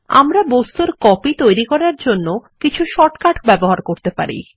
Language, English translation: Bengali, We can also use short cut keys to make copies of objects